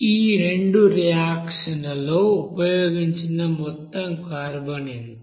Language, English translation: Telugu, Then what will be the total carbon used